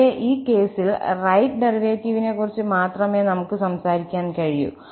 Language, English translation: Malayalam, Whereas here in this case, we can only talk about the right derivative